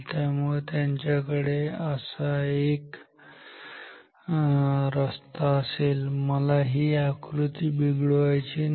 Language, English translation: Marathi, So, they will have a closed path like this, but I do not want to make this diagram ugly